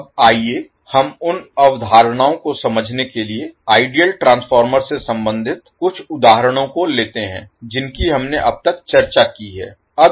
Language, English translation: Hindi, Now, let us take a couple of examples related to the ideal transformer to understand the concepts which we have discussed till now